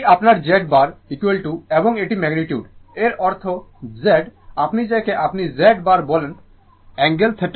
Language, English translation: Bengali, This is your Z bar is equal to your and this is the magnitude, that means this one that means that means, Z your what you call Z bar is equal to Z angle theta